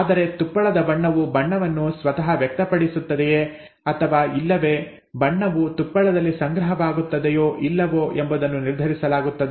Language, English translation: Kannada, But, the colour of fur is determined whether the colour itself is expressed or not, okay, whether the colour will be deposited in the fur or not